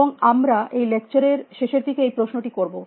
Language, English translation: Bengali, And we are ask this question, towards the end of the last lectures